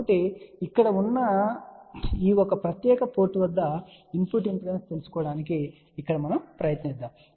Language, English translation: Telugu, So, this one here we are now going to try to find out the input impedance at this particular port over here